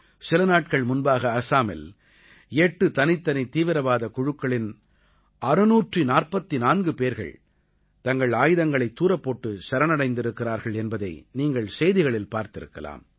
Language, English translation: Tamil, You might also have seen it in the news, that a few days ago, 644 militants pertaining to 8 different militant groups, surrendered with their weapons